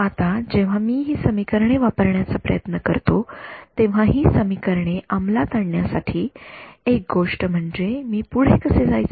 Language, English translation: Marathi, Now so, when I try to use these equations the what is the one thing to enforce given these equations how do I proceed further